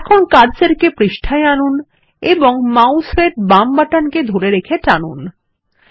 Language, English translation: Bengali, Now bring the cursor to the page gtgt Hold the left mouse button and Drag